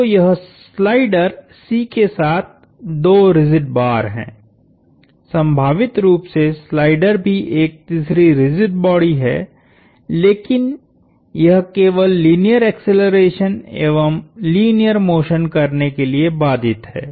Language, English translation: Hindi, So, it is 2 rigid rods with a slider C; potentially the slider is also a third rigid body, but it is only constrained to linear accelerations and linear motion